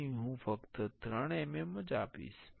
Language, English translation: Gujarati, So, I will give just 3 mm